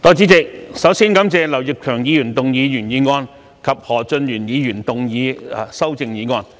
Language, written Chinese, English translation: Cantonese, 代理主席，首先感謝劉業強議員動議原議案及何俊賢議員動議修正案。, Deputy President I thank Mr Kenneth LAU for moving his original motion and Mr Steven HO for moving his amendment